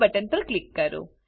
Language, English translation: Gujarati, Now click on Save button